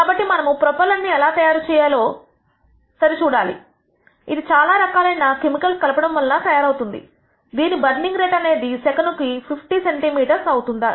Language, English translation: Telugu, So, we are going to check whether the propellant we are made, which is based on mixing a lot of different chemicals, whether it will have a burning rate of 50 centimeter per second